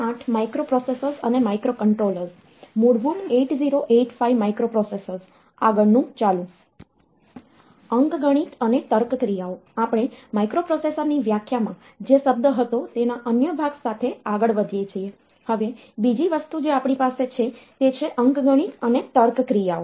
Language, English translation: Gujarati, So, if we continue with other part of the term that we had in the definition of microprocessor, another thing that we have is the arithmetic and logic operations